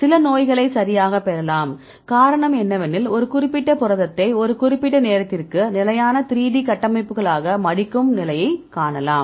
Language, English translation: Tamil, So, you can get some diseases right this is the reason why we need to see the particular protein which folds into a particular a time into stable 3D structures